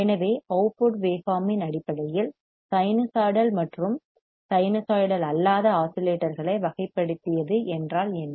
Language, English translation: Tamil, So, based on output waveform what does that mean that the classified a sinusoidal and non sinusoidal oscillators, right